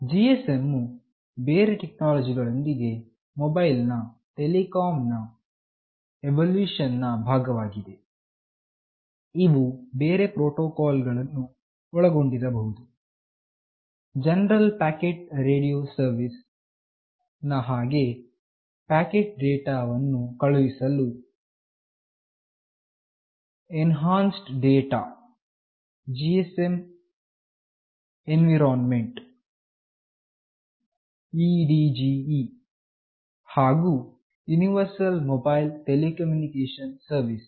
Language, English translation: Kannada, GSM, along with other technologies, is part of the evolution of mobile telecommunication, which include many other protocols as well, like General Packet Radio Service that for sending packet data, Enhanced Data GSM Environment , and Universal Mobile Telecommunication Service